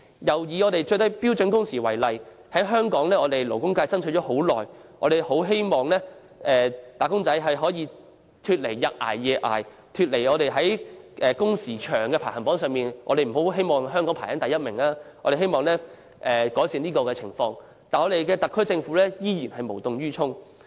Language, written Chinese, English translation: Cantonese, 又以標準工時為例，香港勞工界爭取多時，希望"打工仔"得以擺脫"日捱夜捱"的困境，香港不用長踞全球勞工工時排行榜榜首之位，僱員工作情況得以改善，唯特區政府卻無動於衷。, The labour sector in Hong Kong has fought for this for a long time . We hope that wage earners can be relieved from the plight of exhausting themselves day and night Hong Kong will no longer persistently top the list of having the longest working hours in the world and employees working conditions can be improved . The SAR Government however remains indifferent